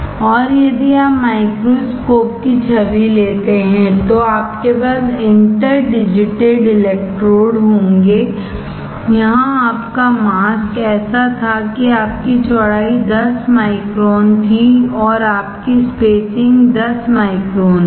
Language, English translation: Hindi, And if you take the microscope image then you will have interdigitated electrodes, here your mask was such that your width was 10 micron and your spacing was 10 micron